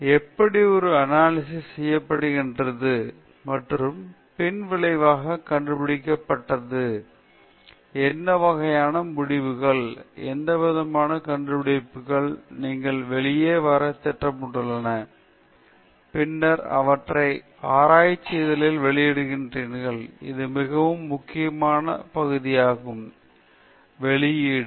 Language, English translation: Tamil, And then, also how an analysis is done and then finding the result; what kind of results, what kind of findings are you planning to come out of with, and then, publishing them in a research journal; and this is very crucial part of it publishing